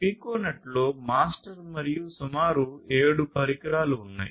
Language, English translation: Telugu, So, within a Piconet you have a mastered master and up to about 7 devices